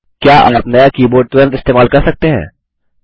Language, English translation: Hindi, Can you use the newly keyboard immediately